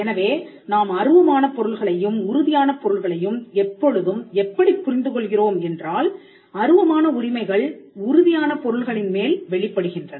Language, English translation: Tamil, So, we always understand as intangible things and the tangible things together in such a way that the intangible rights manifest over tangible things